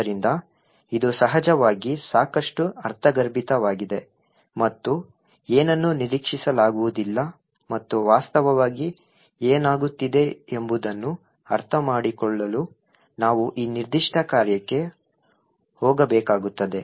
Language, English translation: Kannada, So, this is of course quite counter intuitive and not what is expected and in order to understand what actually is happening we would have to go into this particular function